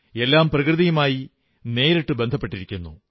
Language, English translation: Malayalam, There is a direct connect with nature